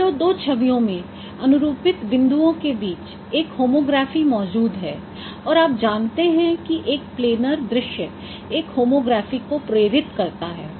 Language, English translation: Hindi, Say you are assuming the corresponding points between two images there exist in homography and you know that a plane planner is a planner scene induces the homography